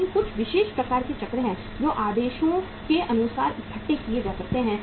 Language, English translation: Hindi, But there are certain kind of the cycles which can be assembled as per the orders